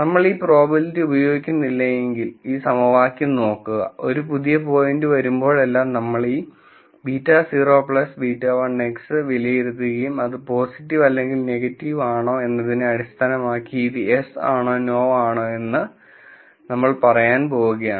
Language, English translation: Malayalam, If we were not using this probability, all that we will do is we will look at this equation and whenever a new point comes in we will evaluate this beta naught plus beta 1 X and then based on whether it is positive or negative, we are going to say yes or no